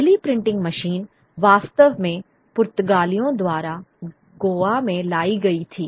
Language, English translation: Hindi, The first printing machine actually was brought in by the Portuguese to Goa